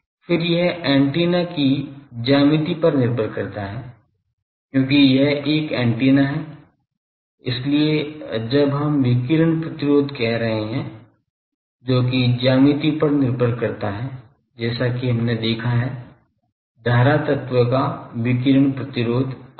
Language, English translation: Hindi, Then, it depends on geometry of the antenna, because it is an antenna so, when we are saying radiation resistance that depends on the geometry as we have seen, that radiation resistance of a current element etc